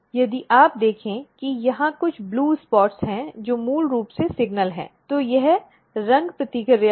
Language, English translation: Hindi, If you can notice there are some blue spots over here which is basically the signal, this is the color reaction